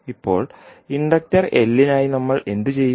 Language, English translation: Malayalam, Now, for the inductor l what we will do